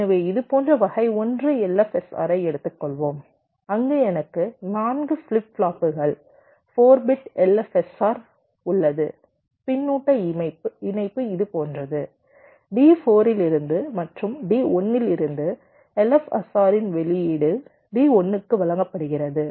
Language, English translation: Tamil, so lets take ah, type one l f s r like this: where i have four flip flops, ah, four bit l f s r, the feedback connection is like this: from d four and from d one, the output of the xor is fed to d one